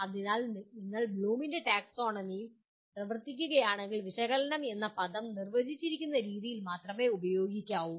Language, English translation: Malayalam, So if you are operating within Bloom’s taxonomy you have to use the word analyze only in the way it is defined